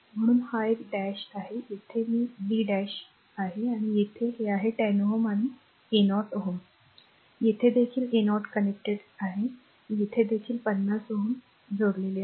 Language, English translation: Marathi, So, here it is a dash right, here it is b dash and this is 10 ohm and this is your 10 ohm and here also that 30 ohm is connected and here also some 50 ohm is connected something it